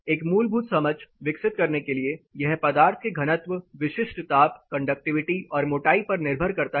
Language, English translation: Hindi, To develop a fundamental understanding it is a function of building material density, specific heat, conductivity and thickness